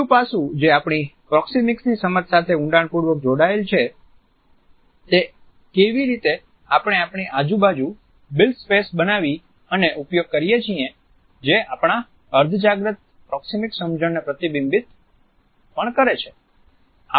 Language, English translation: Gujarati, Another aspect which is deeply related with our understanding of proxemics is how we create and use the built space around us which is also a reflection of our subconscious understanding of proxemics